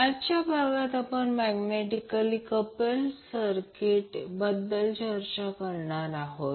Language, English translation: Marathi, So in today’s session we will discuss about the magnetically coupled circuit